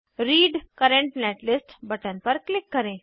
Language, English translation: Hindi, Click on Read Current Netlist button